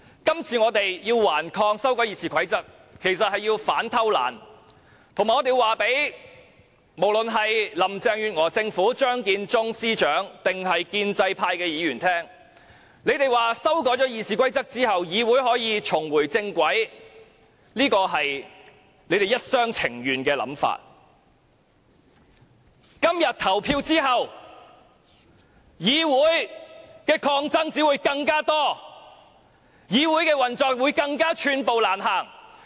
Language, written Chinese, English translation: Cantonese, 今次我們頑抗修改《議事規則》，目的是要反偷懶，以及告訴林鄭月娥特首、張建宗司長或建制派議員，修改《議事規則》後議會可以重回正軌，只是他們一廂情願的想法，今天投票後，議會抗爭只會更多，議會運作會更寸步難行。, We have been making a desperate struggle against the current amendment of RoP with the aim of fighting against indolence and telling Chief Executive Carrie LAM Chief Secretary for Administration Matthew CHEUNG or pro - establishment Members that it is only their wishful thinking that the legislature will be put on the right track following the amendment of RoP . Following the voting today there will only be more struggles in the legislature and the operation of the legislature will be getting more and more difficult